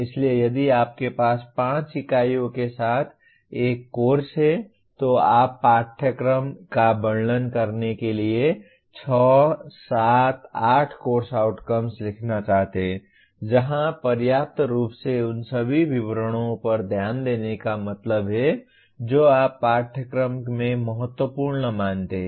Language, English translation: Hindi, So if you have a course with 5 units you may want to write 6, 7, 8 course outcomes to describe the course adequately where adequately means paying attention to all the details you consider important in the course